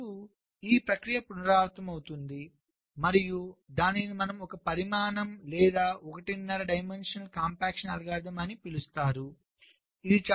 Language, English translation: Telugu, so this process will be repeated and this is how we get the so called one dimension, or maybe one and a half dimensional, compaction algorithm